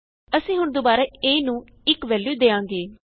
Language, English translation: Punjabi, We now again assign the value of 1 to a